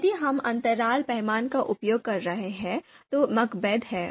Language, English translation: Hindi, If we are using interval scale, then MACBETH is there